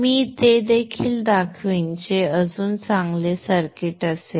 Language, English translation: Marathi, I will show that also which would be a still better circuit